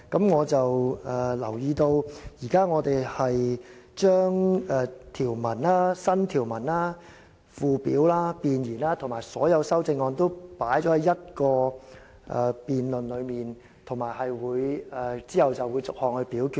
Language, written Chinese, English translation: Cantonese, 我留意到，我們現時將條文、新條文、附表、弁言和所有修正案均歸入同一個辯論中，然後會逐一表決。, I notice that at present the clauses new clauses schedules the preamble and all amendments are all included in the same debate then voted on one by one